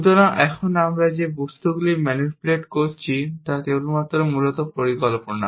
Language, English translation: Bengali, So, now the objects that we are manipulating are only plans essentially